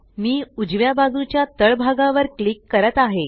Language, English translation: Marathi, I am clicking to the bottom right